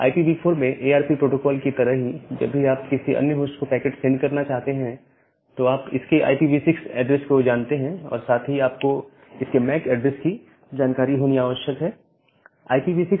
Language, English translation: Hindi, So, similar to the ARP protocol in IPv4, whenever you want to send a packet to another host you know its IPv6 address, but alongside you need to also know its MAC address